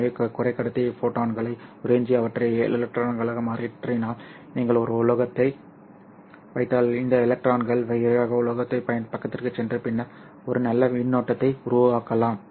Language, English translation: Tamil, So if the semiconductor absorbs photons and converts them into electrons, then if you put a metal, then these electrons can quickly jump over to the metal side and then constitute a nice current